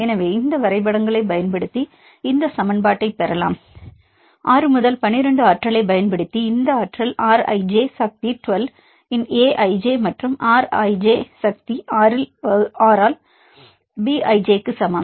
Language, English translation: Tamil, So, we can derive this equation using this graphs; using the 6 12 potential this energy is equal to A i j of the R i j power 12 and B i j by R i j power 6